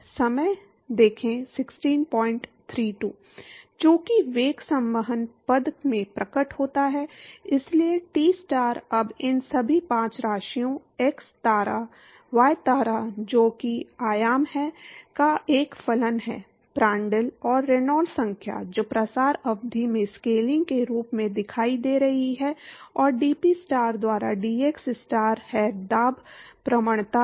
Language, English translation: Hindi, Because velocity appears in the convectional term, so therefore, Tstar is now a function of all these five quantities x star, y star which is the dimensions, Prandtl and Reynolds number which is appearing as a scaling in the diffusion term and dPstar by dxstar are the is the pressure gradient